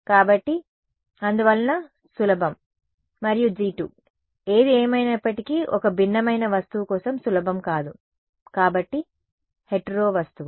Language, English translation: Telugu, So, therefore, easy and G 2; however, for a heterogeneous object not easy right; so, hetero object